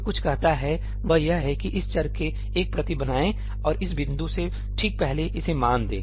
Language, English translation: Hindi, What that says is that create a copy of this variable and initialise it to the value just before this point